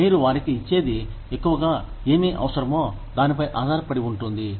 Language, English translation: Telugu, What you give them, depends largely on, what they need